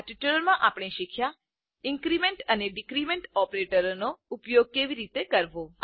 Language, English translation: Gujarati, In this tutorial we learnt, How to use the increment and decrement operators